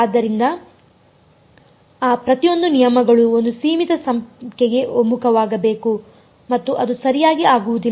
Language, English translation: Kannada, So, each of those terms should converge to a finite number and that will not happen right